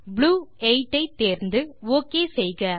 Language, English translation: Tamil, Select Blue 8 and click OK